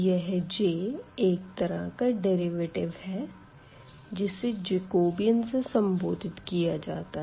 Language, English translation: Hindi, So, the way this J is again kind of derivative which we call Jacobian